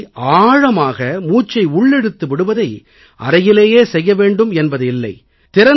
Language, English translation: Tamil, And for deep breathing you do not need to confine yourself to your room